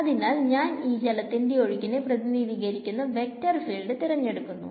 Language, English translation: Malayalam, So, I take this vector field a which is representing water flow